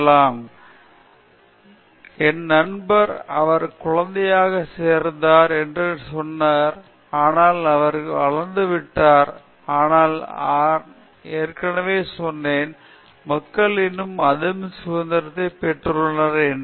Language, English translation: Tamil, My friend said he joined as kid and but he is grown up, but but I mean people have already said that they are getting more freedom, but little bit of maturity